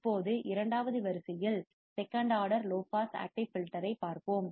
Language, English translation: Tamil, Now, let us see second order low pass active filter